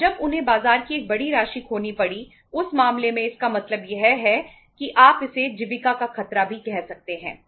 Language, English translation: Hindi, And when they had to lose a sizeable amount of the market in that case there is a means there is a you can call it as the threat of sustenance